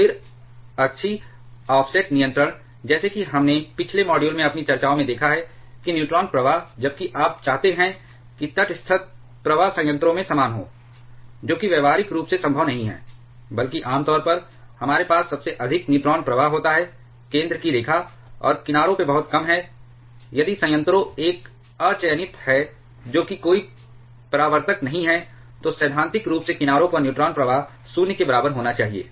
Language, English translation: Hindi, Then axial offset control, as we have seen in our discussions in the previous modules, that the neutron flux, while you want the neutral flux to be uniform throughout the reactor it is practically not possible, rather we generally have the highest neutron flux close to the center line, and much lower at the at the edges, if the reactor is an unreflected one that is there is no reflector, then theoretically the neutron flux at the edges should be equal to 0